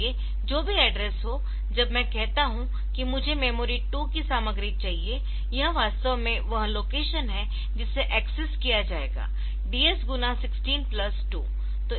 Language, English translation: Hindi, So, whatever be the address so this DS, so when I say that I want to get the content of memory 2, so this is actually the location that will be access DS into 16 plus 2